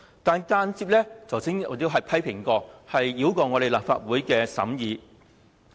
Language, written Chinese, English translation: Cantonese, 我剛才曾作出批評，這項安排間接繞過立法會審議。, Just now I criticized that the Government had indirectly circumvented the scrutiny of the Legislative Council